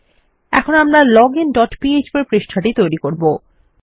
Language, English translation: Bengali, Now let us create our login dot php file